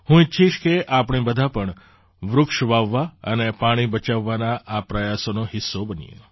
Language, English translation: Gujarati, I would like all of us to be a part of these efforts to plant trees and save water